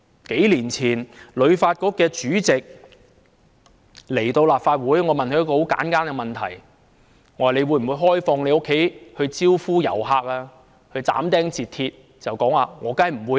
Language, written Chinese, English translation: Cantonese, 數年前，香港旅遊發展局主席來到立法會，我問了他一個很簡單的問題。我問他會否開放他的家招呼遊客？他斬釘截鐵地說"當然不會"。, Several years ago when the Chairman of the Hong Kong Tourism Board HKTB came to the Legislative Council I asked him a very simple question of whether he would open his home for tourists and he answered unequivocally Of course not